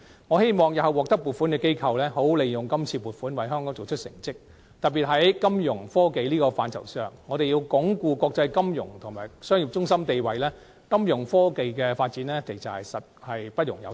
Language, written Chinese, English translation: Cantonese, 我希望日後獲得撥款的機構會好好利用撥款，為香港做出成績，特別是在金融科技的範疇上，我們需要鞏固國際金融及商業中心地位，金融科技的發展實在不容有失。, I hope the recipient bodies will make good use of the funding and accomplish achievements for Hong Kong in particular in the area of finance technology which is essential if we are to entrench Hong Kongs status as an international financial and commercial centre